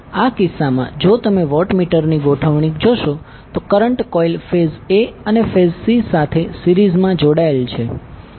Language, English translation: Gujarati, In this case if you see the arrangement of watt meters the current coil is connected in series with the phase a and phase c